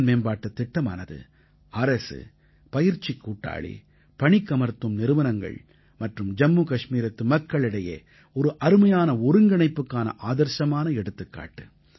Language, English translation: Tamil, The 'HimayatProgramme'is a perfect example of a great synergy between the government, training partners, job providing companies and the people of Jammu and Kashmir